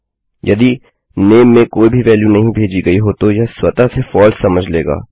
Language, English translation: Hindi, If theres no value sent to name this will automatically assume as false